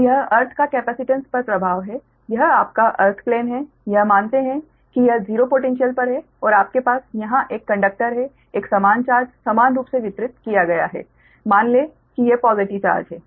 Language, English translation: Hindi, say this is your, this is your, that earth plane, assuming that this is zero potential and you have a conductor here, right, a uniform charge is uniformly distributed, right, assume that these are the positive charge, right